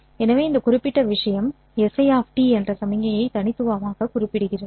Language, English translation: Tamil, So, this particular thing uniquely specifies the signal S